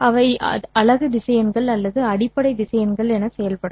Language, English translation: Tamil, They are not yet unit vectors, they are the basis vectors for us